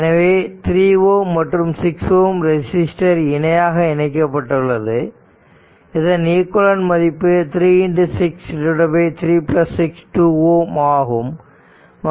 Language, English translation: Tamil, So, this 3 ohm and 6 ohm resistor are in parallel right and there equivalent will be 6 into 3 by 6 plus 3